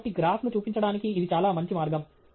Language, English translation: Telugu, So, this a much better way of showing a graph